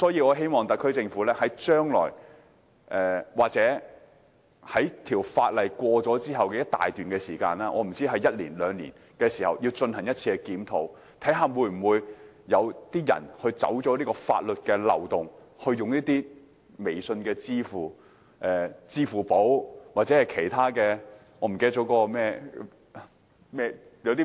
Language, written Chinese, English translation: Cantonese, 我希望特區政府將來或在法例通過後的一段時間內——可能是一兩年——進行檢討，以了解是否有人利用法律漏洞，例如利用微信支付、支付寶或其他支付模式。, I hope that in the future or within some time―perhaps one or two years―after the passage of the Bill the SAR Government can conduct a review to see if anyone has manipulated the loophole in law by using payment methods such as WeChat Pay Alipay and so on